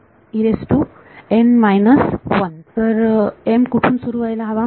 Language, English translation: Marathi, So, what should m start from